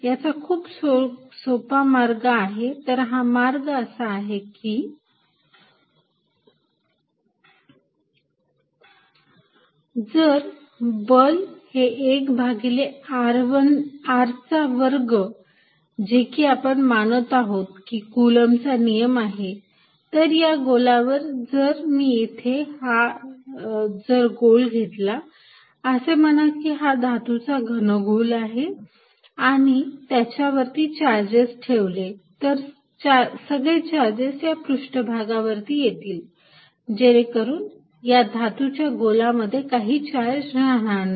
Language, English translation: Marathi, If a force is 1 over r square dependent which we are assuming coulomb's law is then on a sphere, then if I take a sphere, say metallic sphere and put charges on it all the charges will come to the surface with the result that there will be no charge inside a charged metal sphere